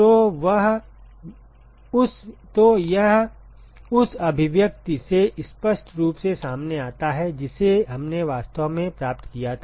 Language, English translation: Hindi, So, that comes out clearly from the expression that we actually derived